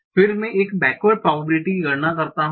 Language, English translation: Hindi, Then I compute a backward probability